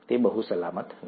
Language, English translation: Gujarati, It's not very safe